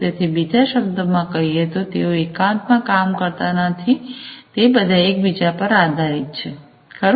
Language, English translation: Gujarati, So, in other words they do not work in isolation, they are all interdependent, right